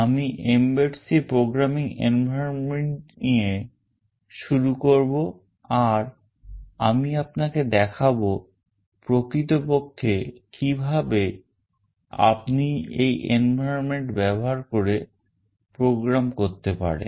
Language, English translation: Bengali, I will introduce the mbed C programming environment and I will show you that how you can actually program using this environment